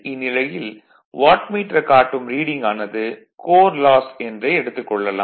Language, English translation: Tamil, And here, Wattmeter reading gives only iron or core loss